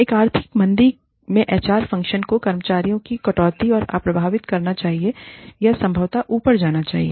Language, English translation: Hindi, In an economic downturn, the HR function should go untouched, in staff reductions, or possibly, beefed up